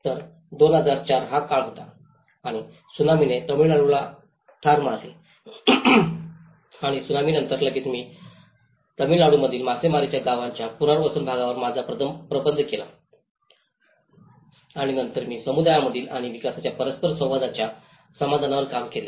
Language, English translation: Marathi, So, that was the time of 2004 and Tsunami have hit the Tamilnadu and immediately after the Tsunami, I did my thesis on the rehabilitation part of fishing villages in Tamil Nadu and then I worked on the reconciling the interaction gap between the community and the development groups